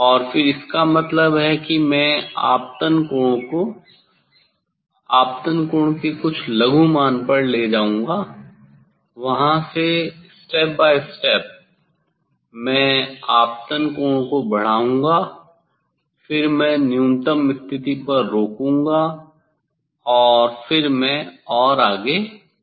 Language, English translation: Hindi, and then; that means, I will I will take the incident angle some small value of incident angle, from there step by step I will increase the incident angle then I will pause the minimum position and then further I will increase